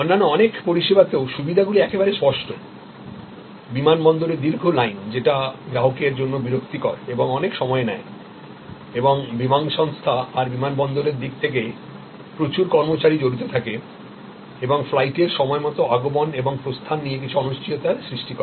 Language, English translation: Bengali, Advantages in many other services are quite clear, that instead of long queues at the airport, which is irritating for the customer, takes a lot of time, engages lot of employees from the airlines side, airport side and also introduces some uncertainties with respect to timely arrival and departure of flights